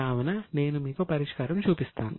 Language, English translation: Telugu, So, I will show the solution to you